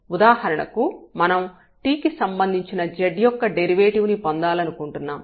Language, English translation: Telugu, So, again this is the derivative of x with respect to t